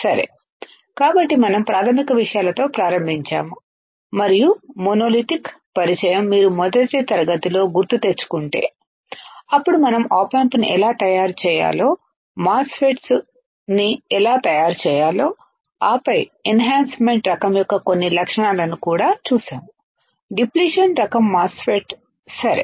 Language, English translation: Telugu, So, we started with basics and introduction of monolithic is if you remember in the first class, then we moved on to how to make the op amp, how to make the MOSFET, and then we have also seen some characteristics of a enhancement type, depletion type MOSFET right